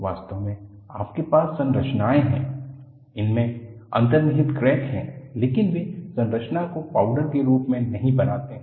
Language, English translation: Hindi, In reality, you have structures, they have embedded crack, but they do not make the structure as a powder